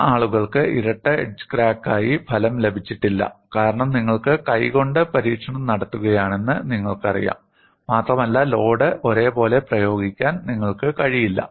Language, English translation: Malayalam, And some people have not got the result as double edge crack mainly because you know, you are doing the experiment with hand and you may not be in a position to apply the load uniformly